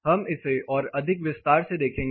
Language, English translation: Hindi, We look at it more in detail